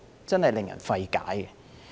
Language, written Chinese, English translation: Cantonese, 真的令人費解。, It is really puzzling